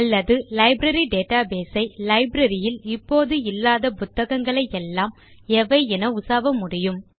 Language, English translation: Tamil, Or we can query the database for all the books that are not in the Library